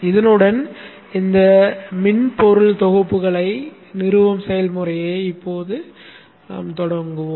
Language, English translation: Tamil, So these three set of software packages we need to install